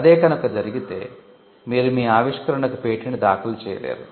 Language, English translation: Telugu, And if it gets killed then you cannot file a patent for your invention